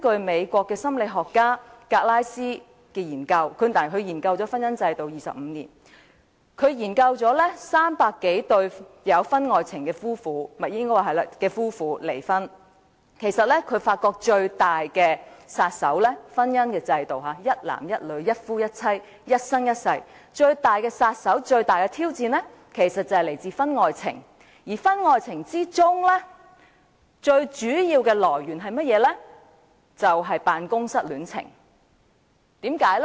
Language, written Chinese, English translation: Cantonese, 美國心理學家格拉斯研究了婚姻制度25年，他曾研究300多對有婚外情而離婚的夫婦，發現對於一男一女，一夫一妻，一生一世的婚姻制度，最大的殺手和挑戰其實是婚外情，而婚外情最主要的來源是辦公室戀情。, American psychologist Shirley GLASS had studied the marriage institution for 25 years and from her studies of over 300 couples divorced because of extra - marital affairs it was found that the biggest killer and challenge to the marriage institution of lifelong monogamy between one man and one woman were actually extra - marital affairs the major source of which were affairs that happened in the workplace